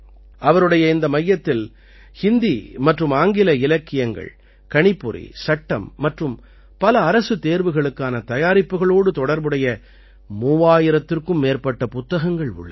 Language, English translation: Tamil, , His centre has more than 3000 books related to Hindi and English literature, computer, law and preparing for many government exams